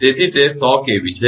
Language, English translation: Gujarati, So, it is 100 kV